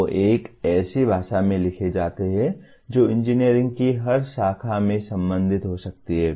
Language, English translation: Hindi, They are written in a language that every branch of engineering can relate itself to